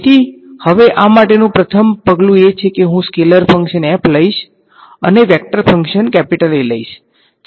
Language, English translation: Gujarati, So, now the first step to do is I am going to take a scalar function f of and a vector function A ok